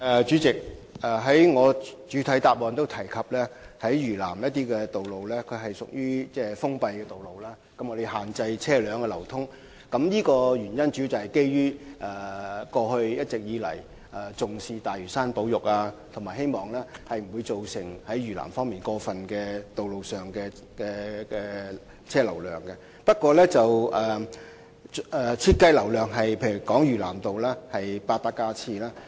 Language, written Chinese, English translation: Cantonese, 主席，我在主體答覆中也提到，有些嶼南路段屬封閉道路，車流受到限制，主要原因是政府一直重視大嶼山保育，希望嶼南路段的車流量不會過分增多，因此嶼南道的設計容車量為 8,000 架次。, President I have also mentioned in the main reply that some roads of South Lantau are closed roads with traffic flow being restricted . It is mainly because the Government has been attaching importance to the conversation of Lantau and hoping that the traffic of the roads of South Lantau will not be increased excessively . This explains why the design capacity of South Lantau Road is 8 000 vehicles